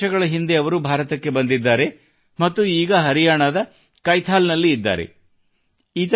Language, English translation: Kannada, Two years ago, he came to India and now lives in Kaithal, Haryana